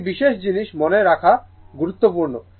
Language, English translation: Bengali, One thing is important to remember